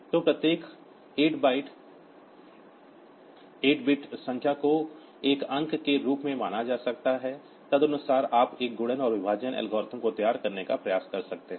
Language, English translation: Hindi, So, each 8 bit number can be considered as a digit, accordingly you can try to devise one multiplication and division algorithm